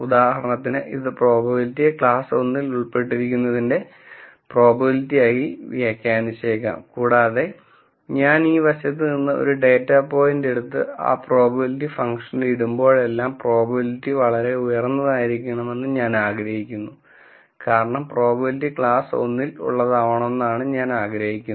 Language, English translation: Malayalam, So, it might interpret the probability as the probability that the data belongs to class 1 for example, and whenever I take a data point from this side and, put it into that probability function, then I want the probability to be very high because I want that as the probability that the data belongs to class 1